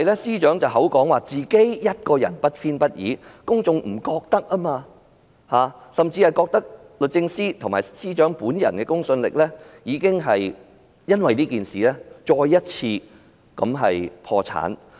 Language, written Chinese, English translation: Cantonese, 司長雖聲稱她不偏不倚，但公眾並不認同，甚至認為律政司及司長本人的公信力因這事件再次破產。, The legal profession definitely commands my profound respect . Even though the Secretary said that she was impartial the public do not think so . People even consider that the credibility of DoJ and the Secretary has gone bankrupt once again